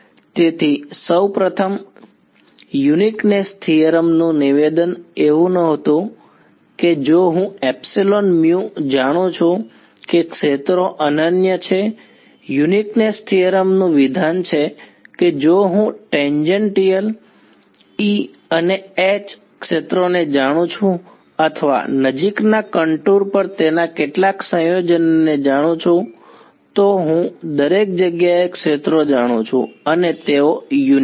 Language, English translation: Gujarati, So, first of all statement of uniqueness theorem was not that if I know epsilon mu the fields are unique, statement of uniqueness theorem was if I know the tangential E and H fields or some combination thereof over a close contour then I know the fields everywhere and they are unique